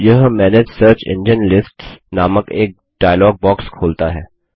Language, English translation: Hindi, This opens a dialog box entitled Manage Search Engine list